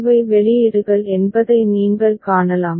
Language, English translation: Tamil, You can see that these are the outputs